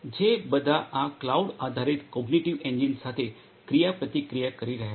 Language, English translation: Gujarati, All of which are interacting with this cloud based cognitive engine